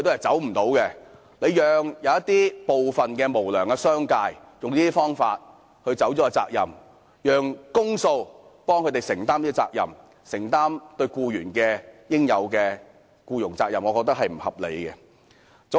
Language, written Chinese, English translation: Cantonese, 政府讓部分無良的商界利用這些方法逃避責任，然後運用公帑來承擔他們對僱員應有的僱傭責任，我認為是不合理的。, I think it is unreasonable that the Government should allow some unscrupulous business operators to evade their responsibilities by such means and then use public money to fulfil their duties toward their employees